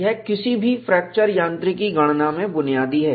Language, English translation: Hindi, This is basic in any fracture mechanics calculation